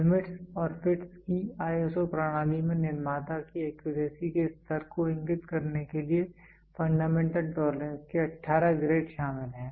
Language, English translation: Hindi, The ISO system of limits and fits comprises 18 grades of fundamental tolerance to indicate the level of accuracy of the manufacturer